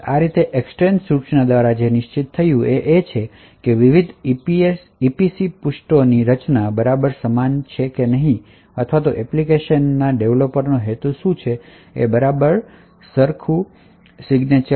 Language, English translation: Gujarati, Thus, what is a certain by the EEXTEND instruction is that the creation of these various EPC pages is exactly similar or has exactly the same signature of what as what the application developer intended